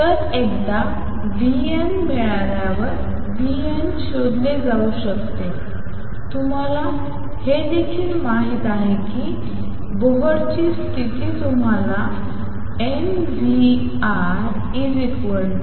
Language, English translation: Marathi, So, v n can be found once you have v n you also know Bohr condition gives you m v r equals n h over 2 pi